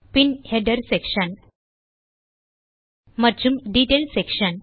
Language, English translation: Tamil, Then the Header section and the Detail section